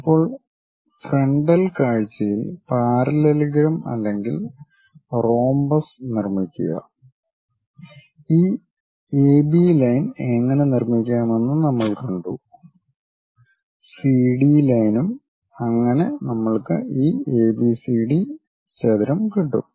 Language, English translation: Malayalam, Now, construct the parallelogram or the rhombus on the frontal view we have seen how to construct this AB line with a 30 degrees transfer remaining CD lines also so that we have this ABCD rectangle